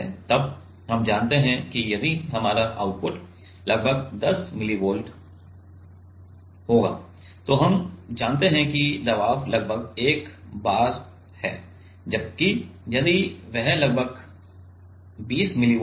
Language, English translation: Hindi, Then we know if our output is about 10 millivolt then we know that the pressure is about 1 bar whereas, if it is about 20 millivolt